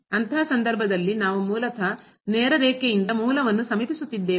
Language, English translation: Kannada, In that case we are basically approaching to origin by the straight line